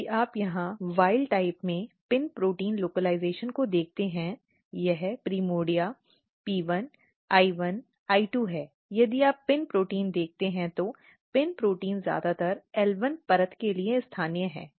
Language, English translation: Hindi, If you look here PIN protein localization in the wild type this is primordia P1, I1, I2, if you look the PIN protein; PIN protein is mostly localize to the L1 layer